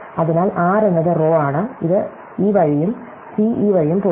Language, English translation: Malayalam, So, r is the row, it was this way and c goes this way